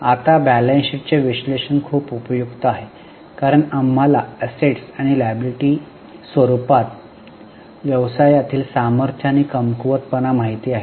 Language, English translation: Marathi, Now, analysis of balance sheet is very much useful because we come to know the strengths and the weaknesses of the business in the form of assets and liabilities